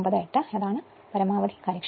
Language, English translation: Malayalam, 98 because maximum efficiency 0